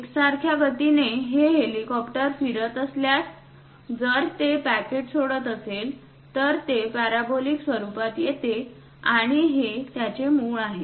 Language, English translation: Marathi, With uniform velocity, if this helicopter is moving; if it releases a packet, it comes in parabolic format, and finally this is the origin